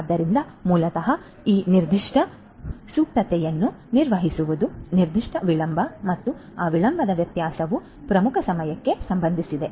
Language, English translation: Kannada, So, basically managing that particular latency, that particular delay and the variability of that delay is what concerns the lead time